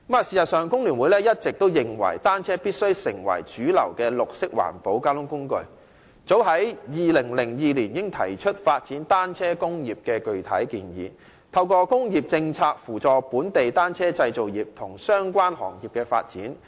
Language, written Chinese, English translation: Cantonese, 事實上，工聯會一直認為單車必須成為主流的綠色環保交通工具，早於2002年，我們已提出發展單車工業的具體建議，透過工業政策，扶助本地單車製造業及相關行業的發展。, In fact bicycles have all along been regarded by the Hong Kong Federation of Trade Unions FTU as a mainstream green mode of transport . As early as 2002 we already put forward concrete proposals for developing the bicycle industry and through industrial policies assisting the development of local bicycle manufacturing and related industries